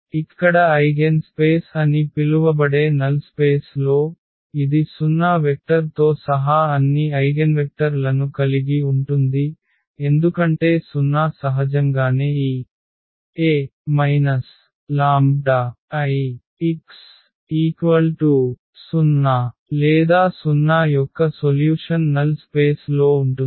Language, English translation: Telugu, So, here in the null space which is also called the eigenspace, it contains all eigenvectors including 0 vector because 0 is naturally the solution of this A minus lambda I x is equal to 0 or 0 will be there in the null space